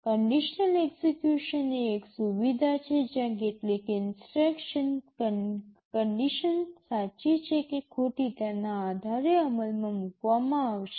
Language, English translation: Gujarati, Conditional execution is a feature where some instruction will be executed depending on whether some condition is true or false